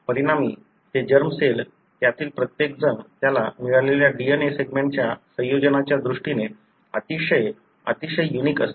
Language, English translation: Marathi, As a result, the resulting germ cell, each one of them would be very, very unique in terms of the combination of the DNA segment it has got